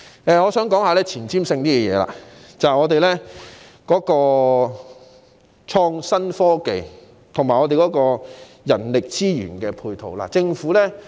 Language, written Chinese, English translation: Cantonese, 我現在想討論前瞻性的議題，便是本港的創新科技及人力資源配套。, I now wish to discuss certain issues for the way forward namely innovation and technology IT and its human resource support in Hong Kong